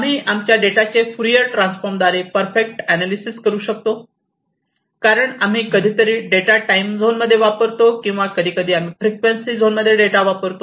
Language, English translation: Marathi, And we can analyse our data perfectly, because sometimes we use the data in the time zone or sometime we use the data in frequency zone, so just by Fourier transform